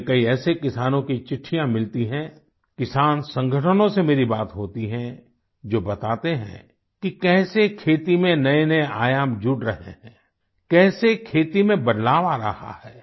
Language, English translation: Hindi, I get many such letters from farmers, I've had a dialogue with farmer organizations, who inform me about new dimensions being added to the farming sector and the changes it is undergoing